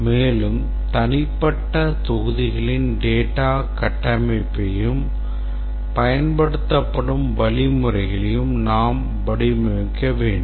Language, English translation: Tamil, And also we need to design the data structures of the individual modules and also the algorithms that would be used